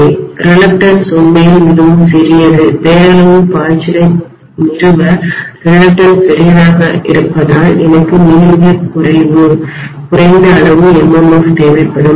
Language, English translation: Tamil, The reluctance is really really small because the reluctance is small to establish a nominal flux I will require a very very small amount of MMF